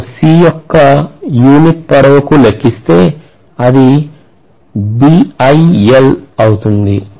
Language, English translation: Telugu, I want to calculate it per unit length of C, will be BiL basically